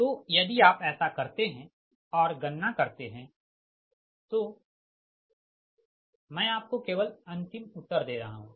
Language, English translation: Hindi, so if you do so, if you compute, i am giving the final answer only right, final answer only